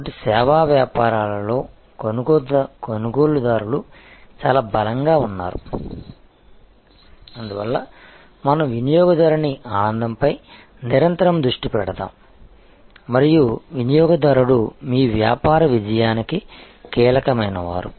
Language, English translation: Telugu, So, the buyers are very strong in service businesses, that is why we continuously focus on customer delight and customer is the key determinant of your business success